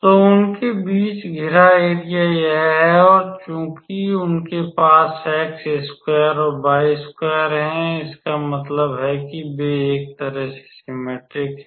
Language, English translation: Hindi, So, the area bounded between them is this much and since they contain x square and y square; that means, they are symmetrical in a way